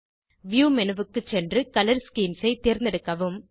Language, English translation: Tamil, Go to View menu and select Color schemes